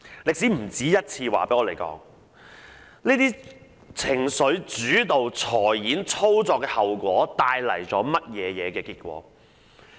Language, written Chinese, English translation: Cantonese, 歷史不止一次告訴我們，這種情緒主導的財演操作帶來的後果。, History has taught us more than once the consequences of such financial operations fuelled by emotions